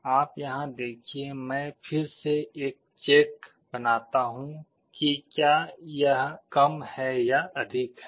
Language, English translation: Hindi, You see here also I again make a check whether it is less than or greater than